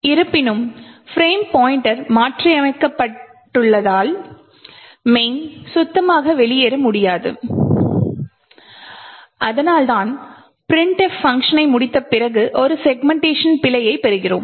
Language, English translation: Tamil, However since the frame pointer has been modified the main will not be able to exit cleanly and that is why we obtain a segmentation fault after the printf completes execution